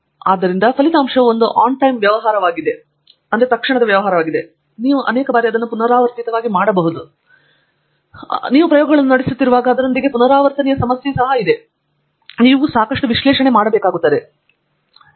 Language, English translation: Kannada, So, you should ask yourself if this result is a onetime affair or you can actually repeatedly do it and in many times, on many occasions when you are performing experiments there is a repeatability issue associated with it, you should have done enough repeatability analysis